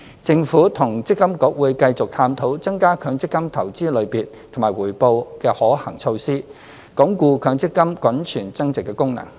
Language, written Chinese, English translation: Cantonese, 政府與積金局會繼續探討增加強積金投資類別及回報的可行措施，鞏固強積金滾存增值的功能。, The Government and MPFA will continue to explore feasible measures to increase the choices and investment return of MPF funds so as to strengthen the function of MPF in generating greater value to scheme members